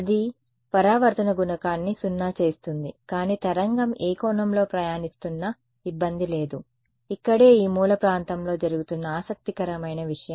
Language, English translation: Telugu, That is making the reflection coefficient 0, but the wave is travelling at any angle does not matter the trouble is I mean the interesting thing happening at this corner region over here right